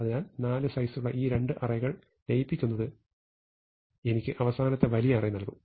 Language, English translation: Malayalam, So, merging these two sub arrays of size four will give me the final answer